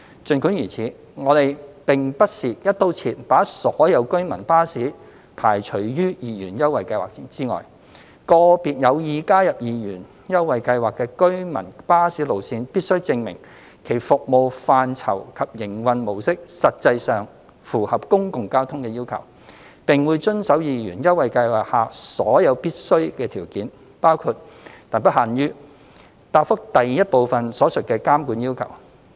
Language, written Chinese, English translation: Cantonese, 儘管如此，我們並不是"一刀切"把所有居民巴士排除於二元優惠計劃之外，個別有意加入二元優惠計劃的居民巴士路線必須證明其服務範疇及營運模式實際上符合"公共交通"的要求，並會遵守二元優惠計劃下所有必須的條件，包括答覆第一部分所述的監管要求。, Nevertheless the Government has not rigidly excluded all residents services from the 2 Scheme . If operators of individual routes of residents services are interested in joining the 2 Scheme they are required to prove that their service scope and operation mode actually meet the requirements for public transport and they will comply with all the necessary conditions under the 2 Scheme including the monitoring conditions as set out in part 1 of the reply above